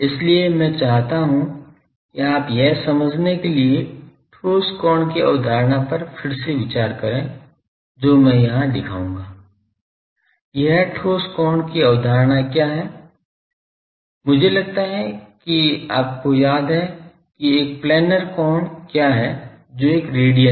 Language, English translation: Hindi, That is why I want you to get revisited to the concept of solid angle to understand that I will come to here , what is the concept of a solid angle I think you remember what is a planar angle that is a radian